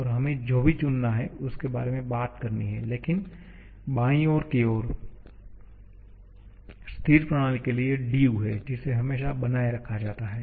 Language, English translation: Hindi, And we have to choose whichever we need to talk about but the left hand side is dU for a stationary system which is always retained